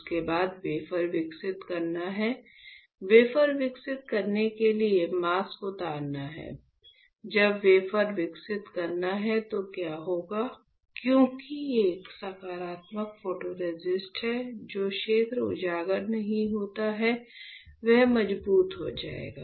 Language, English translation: Hindi, After that you have to develop the wafer, you have to unload the mask to develop the wafer; when you develop the wafer what will happen since there is a positive photoresist, the area which is not exposed will become stronger